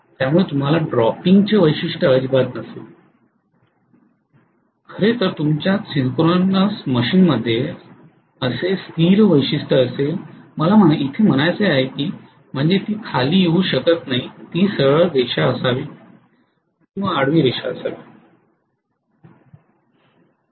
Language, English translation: Marathi, So you will not have a dropping characteristic at all, you will in fact have in a synchronous machine a steady characteristic like this, I mean it cannot come down it should be a straight line, horizontal straight line